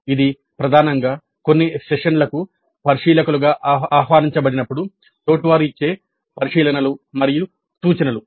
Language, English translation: Telugu, So, primarily the observations and suggestions given by peers when invited as observers to some sessions